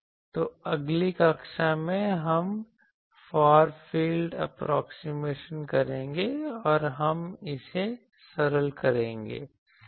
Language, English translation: Hindi, So, in the next class, we will do the Far field approximation and we will simplify this